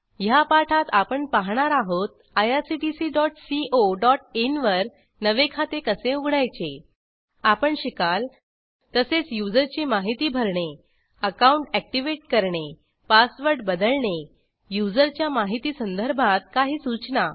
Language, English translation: Marathi, In this tutorial,We will learn how to register a new account in irctc.co.in We will learn about Entering user information, Activating the account and Changing the password